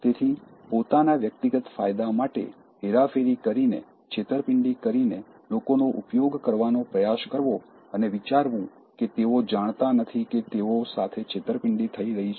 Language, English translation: Gujarati, So, trying to use people for their personal benefits by manipulating, by cheating, thinking that they don’t know that their others are being manipulated